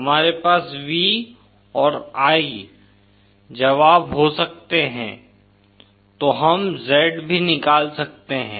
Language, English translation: Hindi, We can have V and I solutions so then we can also have Z